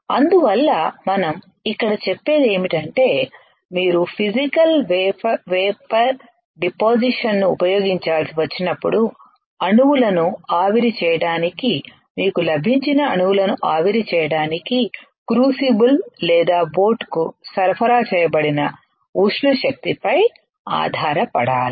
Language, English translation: Telugu, That is why what we say here is when you have to use Physical Vapor Deposition it has to rely on the thermal energy supplied to the crucible or boat to evaporate atoms you got it to evaporate atoms